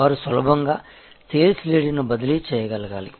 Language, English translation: Telugu, They should be able to easily transfer a sales lead